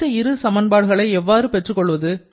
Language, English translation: Tamil, So, these are the 4 equations that we have now